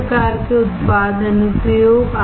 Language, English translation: Hindi, What kind of product applications